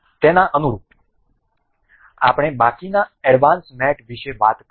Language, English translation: Gujarati, In line with that, we will talk about rest of the advanced mate